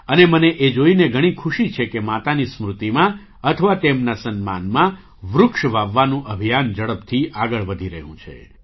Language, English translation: Gujarati, And I am immensely happy to see that the campaign to plant trees in memory of the mother or in her honor is progressing rapidly